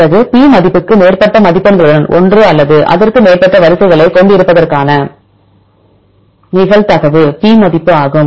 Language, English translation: Tamil, Then P value is the probability of having one or more sequences with the score of more than S